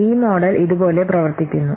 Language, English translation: Malayalam, So this model works like this